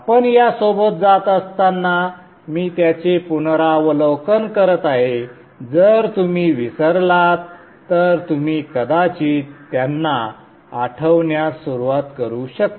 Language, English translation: Marathi, I will be reviewing them as we go along just in case you have forgotten you can probably start recalling them